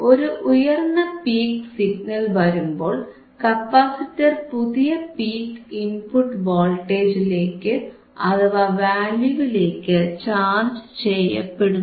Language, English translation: Malayalam, wWhen a higher peak signal is come cocommes along comes along, the capacitor will be charged to the new peak input voltage or new peak inputor value right